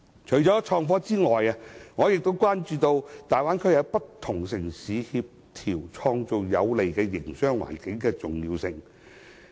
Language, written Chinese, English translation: Cantonese, 除創科外，我亦關注與大灣區內不同城市協調創造有利營商環境的重要性。, IT aside I also think that it is important for Bay Area cities to take concerted actions to create a business - friendly environment